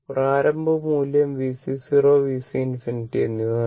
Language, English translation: Malayalam, Initial value was given V C 0 and V C infinity